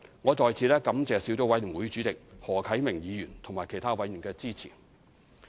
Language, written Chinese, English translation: Cantonese, 我在此感謝小組委員會主席何啟明議員和其他委員的支持。, I would like to take this opportunity to thank the Chairman of the Subcommittee Mr HO Kai - ming and other Subcommittee members for their support